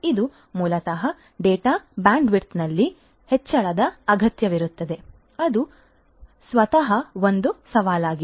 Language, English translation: Kannada, So, this basically will require an increase in the data bandwidth which is itself a challenge